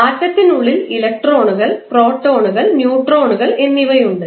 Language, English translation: Malayalam, Inside the atom you will see electron, proton, and neutrons